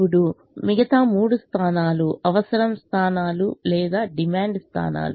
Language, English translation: Telugu, now the other three points are the requirement points, are the demand points